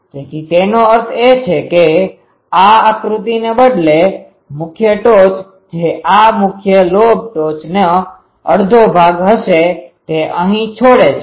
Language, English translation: Gujarati, So that means, instead of this diagram, the main peak that will be half of this main lobe peak will be here at that end